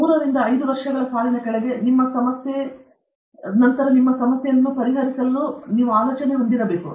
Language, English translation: Kannada, 3 to 5 years down the line, your problem will be well settled problem